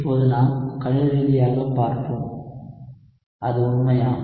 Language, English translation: Tamil, But now let us mathematically derive to see, is it true